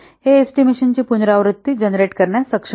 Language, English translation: Marathi, It is able to generate repeatable estimations